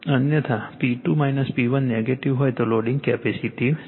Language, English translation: Gujarati, Otherwise if P 2 minus P 1 negative mean loading capacity right